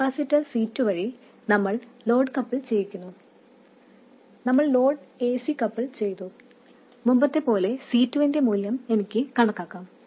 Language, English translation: Malayalam, Through this capacitor C2 we couple the load, AC couple the load, and as before we can calculate the value of C2